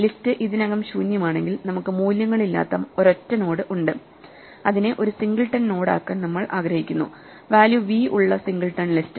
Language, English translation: Malayalam, If the list is already empty, then we have a single node which has value none and we want to make it a singleton node, a singleton list with value v